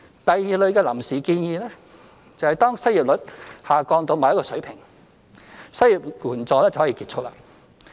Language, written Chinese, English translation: Cantonese, 第二類的"臨時"建議，是當失業率下降至某一個水平，失業援助便可結束。, The second type of temporary proposal suggests discontinuing the unemployment assistance when the unemployment rate drops to a certain level